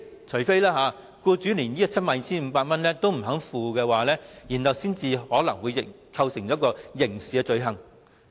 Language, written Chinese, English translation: Cantonese, 除非僱主連 72,500 元也不肯繳付，才有機會構成刑事罪行。, The employer will only commit a criminal offence if he is unwilling to pay 72,500